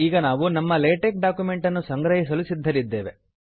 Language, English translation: Kannada, Now we are ready to compile our LaTeX document